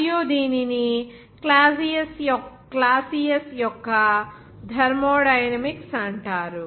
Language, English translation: Telugu, And also, it is called the thermodynamics of Clausius